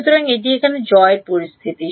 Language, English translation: Bengali, So, that is the win win situation over here